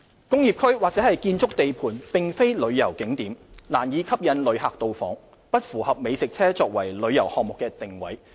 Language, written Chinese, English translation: Cantonese, 工業區或建築地盤並非旅遊景點，難以吸引旅客到訪，不符合美食車作為旅遊項目的定位。, Industrial areas or construction sites are not tourism spots and are unlikely to attract tourists to visit thereby not conforming to the positioning of food trucks as a tourism project